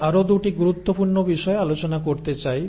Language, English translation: Bengali, But, I want to cover 2 other important things